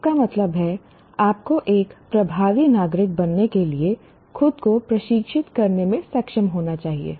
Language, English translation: Hindi, That means you should be able to be trained yourself to become an effective citizen